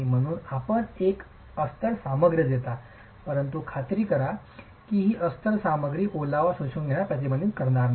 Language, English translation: Marathi, So, you give a lining material but ensure that this lining material is not going to prevent absorption of, absorption of moisture